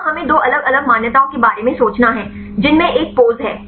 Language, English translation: Hindi, Here we have to think about two different accepts one is the pose right